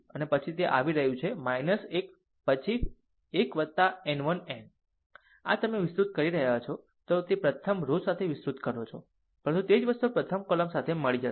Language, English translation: Gujarati, And then it is coming minus 1 the power 1 plus n 1 n this is expanding your what you call expanding along the first row, but the same thing will get along the first column